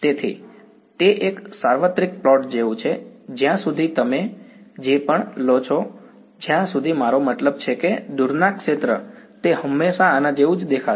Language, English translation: Gujarati, So, it is like a universal plot whatever r you take as long as I mean the far field it will always look like this ok